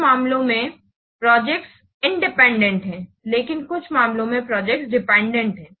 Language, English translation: Hindi, Many cases, in some cases, the projects are independent, but in some cases the projects are dependent